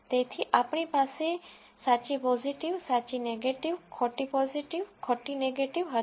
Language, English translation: Gujarati, So, we had, true positive, true negative, false positive, false negative